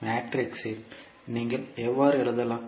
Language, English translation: Tamil, So, in matrix from how you can write